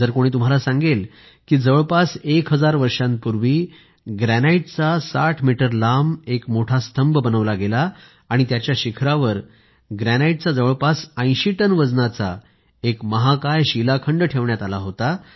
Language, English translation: Marathi, Would you believe if someone tells you that about a thousand years ago, an over sixty metrestall pillar of granite was built and anothergranite rock weighing about 80 tonnes was placed over its top